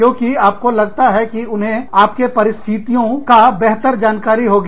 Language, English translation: Hindi, Because, you feel that, they will know your situation, better